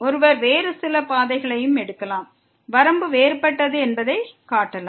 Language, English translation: Tamil, One can also take some other path and can show that the limit is different